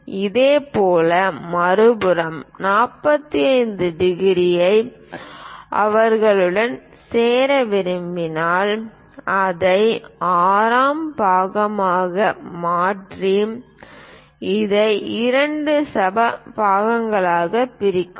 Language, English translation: Tamil, Similarly, if we would like to construct the other side 45 degrees join them make it the part 6 and divide this into two equal parts